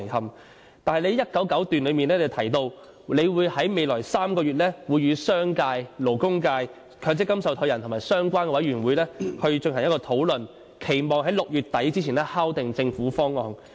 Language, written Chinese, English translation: Cantonese, 你在施政報告第199段提到，你會在未來3個月與商界、勞工界、強積金受託人和相關委員會進行討論，期望在6月底前敲定政府方案。, In paragraph 199 of the Policy Address it is mentioned that you will discuss with the business and labour sectors MPF trustees and relevant advisory bodies in the coming three months in the hope of finalizing the Governments proposal by the end of June